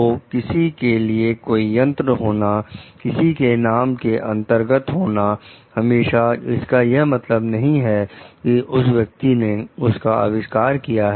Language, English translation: Hindi, So, having a device for someone; under someone s name does not always mean, like the person has invented it